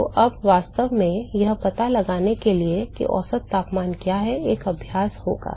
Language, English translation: Hindi, So, the exercise is now to really find out what is the mean temperature